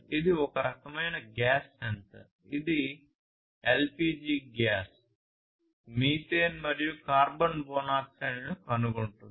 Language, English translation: Telugu, This is a gas sensor for detecting LPG gas, methane, carbon monoxide and so on